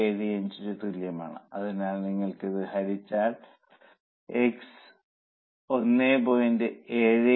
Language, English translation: Malayalam, So, we get if you divide this, you will get X as 1